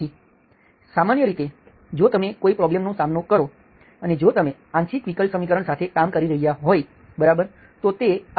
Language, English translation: Gujarati, So typically if you have, if you encounter a problem, if encounter or if you are working with a partial differential equation, okay